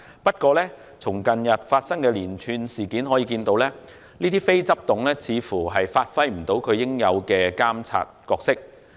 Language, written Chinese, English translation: Cantonese, 不過，從近日發生的連串事件可見，這些非執行董事似乎未能發揮他們應有的監察角色。, However judging from the recent spate of incidents these non - executive directors seemed to have failed to exercise their supervisory roles properly